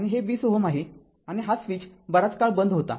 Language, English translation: Marathi, And this is 20 ohm; and this switch was closed for long time